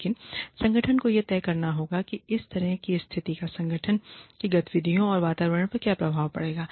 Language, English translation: Hindi, But, the organization has to decide, what the impact of this kind of situation, will be on the organization's activities and the climate